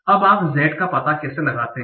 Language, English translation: Hindi, Now, how do we find out z